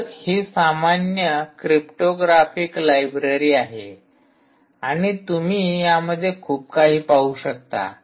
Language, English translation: Marathi, ah, it is also a general purpose cryptographic library library, ok, and you will see a lot about it